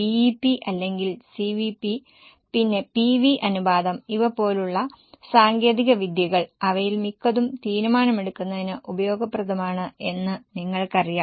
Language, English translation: Malayalam, We have seen techniques like BP or CVP, then PV ratio, most of them are useful for decision making